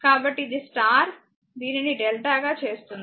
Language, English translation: Telugu, So, it is a star right; so making it delta